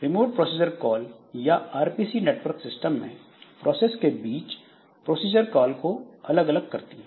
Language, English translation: Hindi, So, remote procedure call or RPC it abstracts procedure calls between processes on networked system